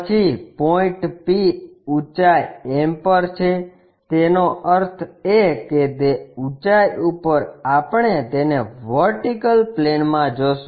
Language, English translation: Gujarati, Then point P is at a height m above ; that means, that height above we will see it in the vertical plane